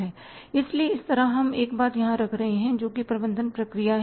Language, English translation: Hindi, So, on this side we are putting here one thing that is the management process